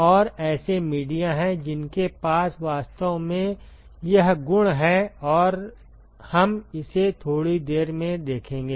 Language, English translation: Hindi, And there are media which actually has this property and we will see that in a short while